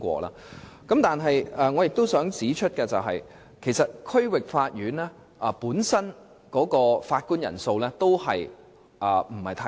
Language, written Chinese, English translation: Cantonese, 不過，我亦想指出一點，就是區域法院法官的人數也嫌不足。, And yet I also want to highlight that there is a shortage of judges at the District Court as well